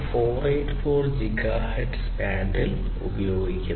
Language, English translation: Malayalam, 484 gigahertz band